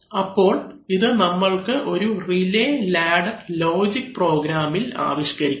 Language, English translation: Malayalam, So, this we have to now capture in a relay ladder logic program, right